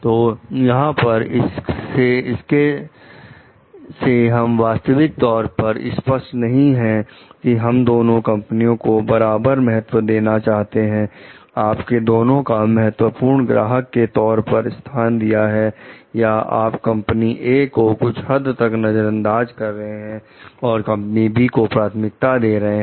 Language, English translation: Hindi, So, we are not exactly clear here from the case like whether you have given equal importance to both the companies, you treated them also as your important customers or you have neglected company A to certain extent while prioritizing for company B